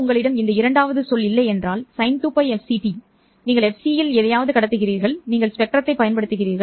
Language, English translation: Tamil, Well, if you don't have the second term, the one that is sine 2 pi f ct, you are transmitting something at fc and you are utilizing the spectrum